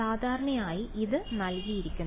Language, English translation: Malayalam, So, typically this is given